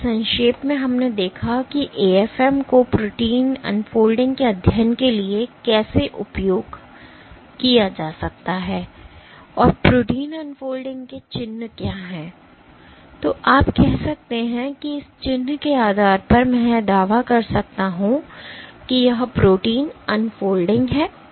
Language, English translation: Hindi, So, to summarize we have seen how the AFM can be made use of for studying protein unfolding and what is the signature of protein unfolding, that you can say that this means based on this signature I can claim that this is protein unfolding